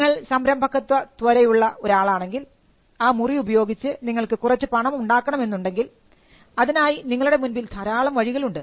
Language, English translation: Malayalam, Now if there is an entrepreneurial spirit in you and you want to make some money with this room, there are multiple ways in which you can use this room to make money